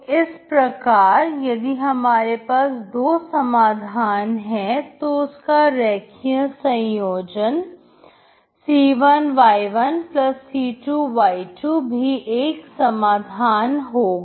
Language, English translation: Hindi, So if I give two solutions, linear combination that isc1 y1+c2 y2 is also solution